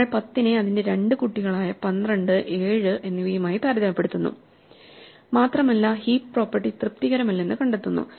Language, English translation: Malayalam, We compare 10 with itÕs 2 children, 12 and 7 and find that it is not satisfying heap property